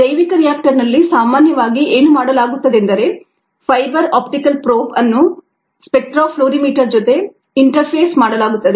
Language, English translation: Kannada, what is done is ah fiber optic probe is interfaced with a spectra fluorimeter